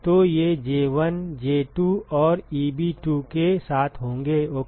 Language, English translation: Hindi, So, these will be with J1, J2 and Eb2 ok